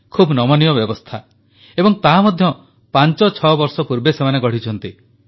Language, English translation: Odia, It has a very flexible system, and that too has evolved fivesix years ago